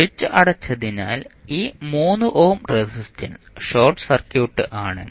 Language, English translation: Malayalam, And since switch was closed this 3 ohm resistance is also short circuited